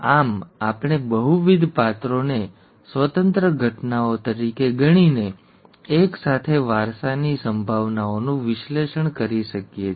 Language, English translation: Gujarati, Thus, we can analyze probabilities of simultaneous inheritance of multiple characters by considering them as independent events, okay